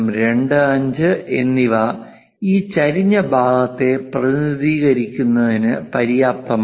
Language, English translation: Malayalam, 25 are good enough to represent this incline portion